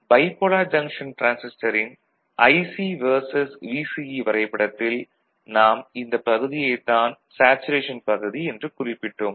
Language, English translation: Tamil, So, in the IC versus VCE curve that we had seen, in case of bipolar junction transistor, this region was the saturation region there if you remember ok